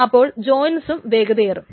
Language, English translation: Malayalam, So even the joints are faster